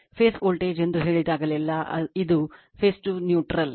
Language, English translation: Kannada, Whenever we say phase voltage, it is phase to neutral right